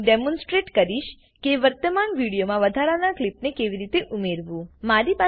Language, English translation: Gujarati, Now I will demonstrate how to add an extra clip to an existing video